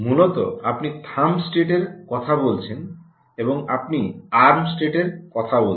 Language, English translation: Bengali, ok, essentially you are talking about thumb state, ok, and you are talking about the arm state